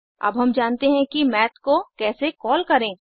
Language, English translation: Hindi, Now, we know how to call Math